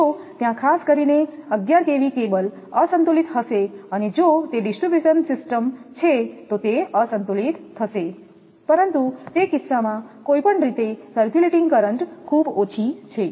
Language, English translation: Gujarati, Even if the unbalance is there particularly for 11 kV cable and if it is a distribution system then it will be unbalanced, but any way in that case your circulating currents are very small